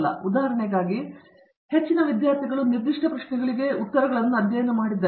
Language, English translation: Kannada, To give an example, lot of students have studied answers for specific questions